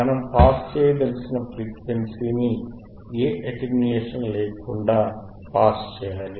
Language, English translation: Telugu, Thate frequency that we want to pass it should be passed without any attenuation, right